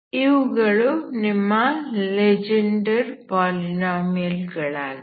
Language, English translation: Kannada, So these are your Legendre polynomials